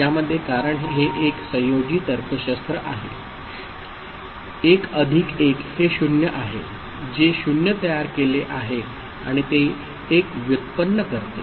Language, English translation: Marathi, Within this, because it is a combinatorial logic 1 plus 1 which is 0 is generated and carry generated as 1